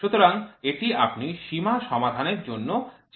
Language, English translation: Bengali, So, this you will try to solve limit